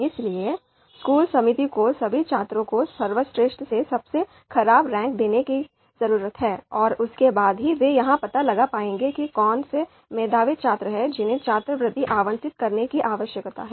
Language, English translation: Hindi, So we need to rank, the school committee need to rank all students from best to worst, only then they would be able to find out who are the meritorious students whom the scholarship needs to be allocated